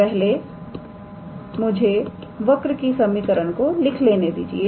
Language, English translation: Hindi, So, let us write the equation of the curve first